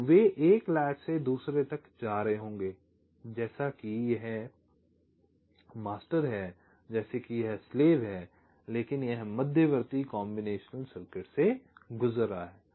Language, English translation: Hindi, so they will be moving from one latch to another as if this is master, as if this is slave, but it is going through the intermediate combinational circuit